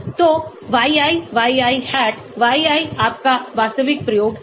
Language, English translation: Hindi, So yi yi hat, yi is your actual experimental